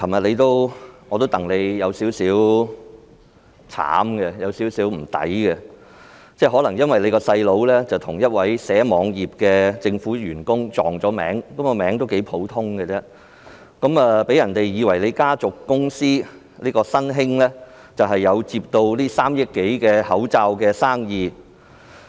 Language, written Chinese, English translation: Cantonese, 主席，我覺得你昨天有點可憐並有點替你不值，因為你的弟弟可能與一名編寫網頁的政府員工"撞名"，因這個名字頗為普遍，讓人以為你家族公司"新興織造廠有限公司"接下政府耗資3億多元的口罩生意。, Chairman I think you were quite miserable yesterday and you were not fairly treated . Since your brother bears the same name as a government staff writing web pages and the name is quite common some people thought that your family company Sun Hing Knitting Factory Limited had received the face mask purchase order from the Government costing over 300 million